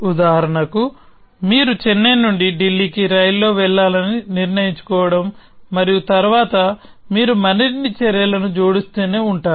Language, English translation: Telugu, Like, for example, deciding that you have to take a train from Chennai to Delhi and then you keep adding more actions